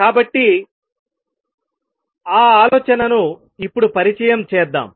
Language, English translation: Telugu, So, let me introduce that idea now